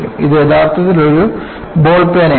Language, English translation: Malayalam, This is actually a ball pen